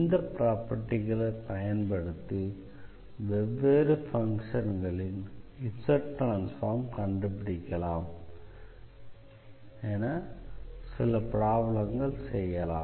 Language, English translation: Tamil, And using these properties, now let us solve some problems quickly so that you can better understand how to find out the Z transform of various functions using the properties